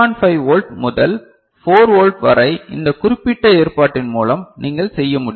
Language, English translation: Tamil, 5 volt to 4 volt that you can do through this particular arrangement ok